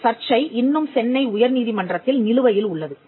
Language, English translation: Tamil, dispute which is now pending before the high court at Madras